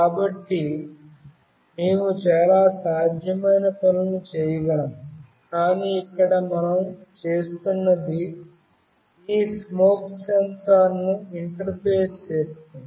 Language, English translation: Telugu, So, we can do many possible things, but here what we are doing essentially is will be interfacing this smoke sensor